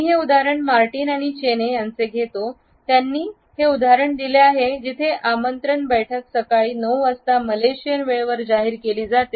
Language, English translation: Marathi, I take this example from Martin and Chaney, who have cited this example of an invitation where the meeting is announced at 9 AM “Malaysian time”